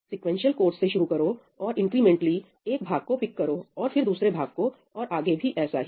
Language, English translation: Hindi, Start with a sequential code and then incrementally pick up one part, then another part and so on, and parallelize it